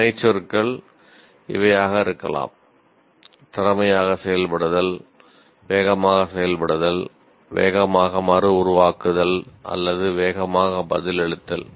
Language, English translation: Tamil, The action verbs could be perform skillfully, react fast, reproduce fast or respond fast